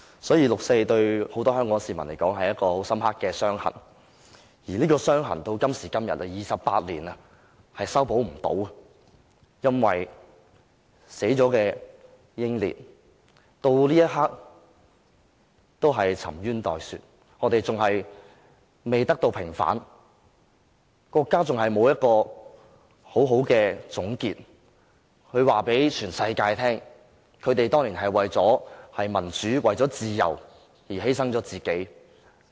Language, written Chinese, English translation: Cantonese, 所以，六四對很多香港市民來說，是一道很深刻的傷痕，而這道傷痕到今天，經過28年仍無法修補，因為死去的英烈到這一刻仍然沉冤待雪，未得到平反，國家仍然沒有作出一個妥善的總結，告訴全世界這些死難者當年是為了民主自由而犧牲了自己。, Therefore to many Hong Kong people the 4 June incident is a deep wound one which has remained not healed even today after the passage of 28 years ever since . The reason why people think so is that up to this moment justice and a fair judgment have yet to be passed on those martyrs and the country has not given a proper conclusion which tells the whole world that the people who died that year actually sacrificed themselves for the cause of democracy and freedom